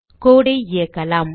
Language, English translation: Tamil, Now let us run the code